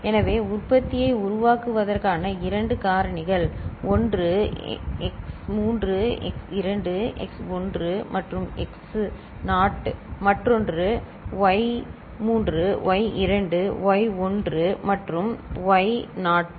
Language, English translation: Tamil, So, the two factors to generate the product so, one is x3 x2 x1 and x naught right and the other one is y3 y2 y1 and y naught right